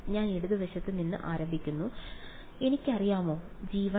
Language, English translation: Malayalam, I start from the left do I know g 1